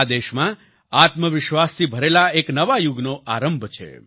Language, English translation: Gujarati, This is the beginning of a new era full of selfconfidence for the country